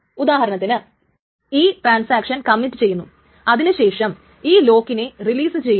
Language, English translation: Malayalam, That means that suppose the transaction commits and then it releases this lock